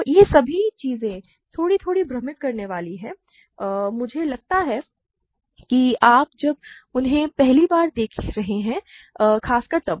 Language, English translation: Hindi, So, all these things are a bit confusing I think and when you are seeing them for the first time especially